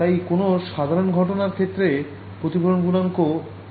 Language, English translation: Bengali, So, even for normal incidence the reflection coefficient is n minus 1 by n plus 1